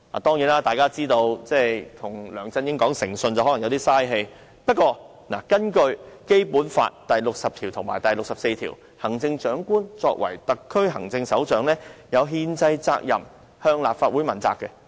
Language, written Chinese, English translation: Cantonese, 當然，大家也知道，與梁振英講誠信只是浪費氣力，但無論如何，根據《基本法》第六十條及第六十四條，行政長官作為特區行政首長，有憲制責任向立法會問責。, Surely as we all know integrity is hardly a virtue of LEUNG Chun - ying but nonetheless according to Articles 60 and 64 of the Basic Law the Chief Executive as the head of the HKSAR has a constitutional duty to be accountable to the Legislative Council